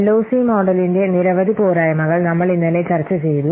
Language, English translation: Malayalam, See, we have seen there are many drawbacks of the LOC model that we have seen yesterday